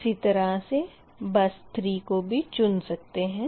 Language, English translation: Hindi, similarly, i can choose the bus three, right